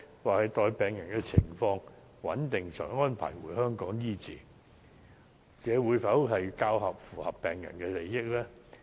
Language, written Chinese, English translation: Cantonese, 或是待病人的情況穩定後，才安排送回香港醫治，較符合病人的利益呢？, Or is it in better interest of the patient to wait till his or her health condition stabilizes before transferring this patient to Hong Kong for treatment?